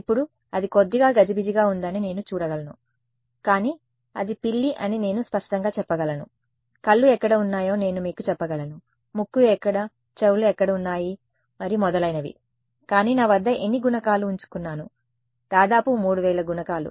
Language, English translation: Telugu, Now, I can see that it is a little furzy, but I can clearly make out it is a cat, I can tell you where the eyes are where the nose is where the ears are and so on, but how many coefficients that I have kept right, roughly 3000 coefficients